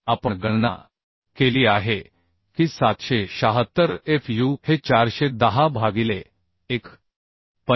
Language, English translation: Marathi, 8 An we have calculated 776 fu is 410 by 1